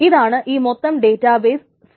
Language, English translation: Malayalam, That's the entire database